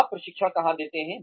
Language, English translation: Hindi, Where do you give the training